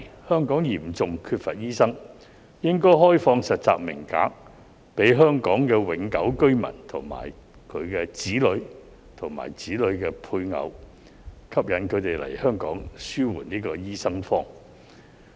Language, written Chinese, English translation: Cantonese, 香港嚴重欠缺醫生，應該開放實習名額給香港永久性居民和其子女及子女的配偶，吸引他們來港實習紓緩"醫生荒"。, Given the acute shortage of doctors in Hong Kong internship places should be opened to Hong Kong permanent residents their children and spouses of their children so that these people can be attracted to undergo internship in Hong Kong to alleviate the shortage of doctors